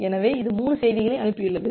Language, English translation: Tamil, So, it has sent 3 message